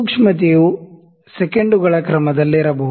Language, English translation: Kannada, The sensitivity can be in the of the order of seconds